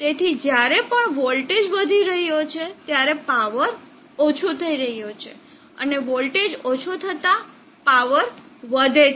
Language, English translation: Gujarati, So whenever the voltage is increasing the power is decreasing and the voltage is decreasing power increases